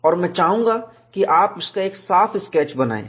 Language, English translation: Hindi, And I would like you to make a neat sketch of it